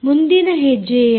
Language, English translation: Kannada, what is a next step